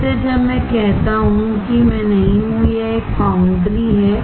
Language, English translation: Hindi, So, when I say I that is not me, it is a foundry